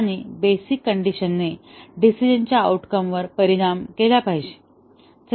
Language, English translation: Marathi, And, the basic condition should affect the decision outcome